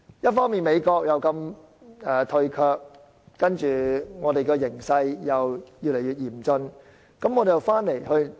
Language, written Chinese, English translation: Cantonese, 一方面，美國如此退卻，另一方面，我們面對的形勢又越來越嚴峻。, On the one hand the United States has adopted such a retrogressive attitude and on the other we are facing an increasingly dire situation